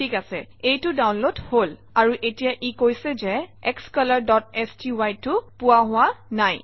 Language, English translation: Assamese, Alright, it downloaded that and now it says that xcolor.sty is missing